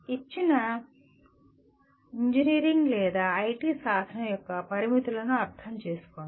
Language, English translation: Telugu, Understand the limitations of a given engineering or IT tool